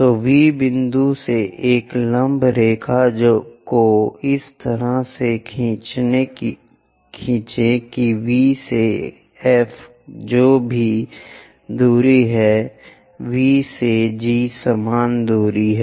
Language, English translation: Hindi, So, from V point draw a perpendicular line in such a way that V to F whatever the distance, V to G also same distance, we will be having